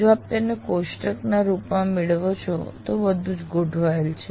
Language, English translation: Gujarati, If you capture it in the form of a table, it will, everything is structured